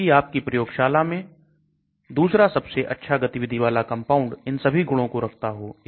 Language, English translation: Hindi, Whereas the second most active drug in your lab may have all the other properties